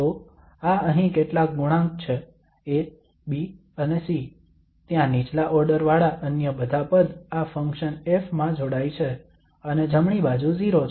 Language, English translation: Gujarati, So with C we have the partial derivatives with respect to y and there all other terms with lower order are combined into this function F and the right hand side is 0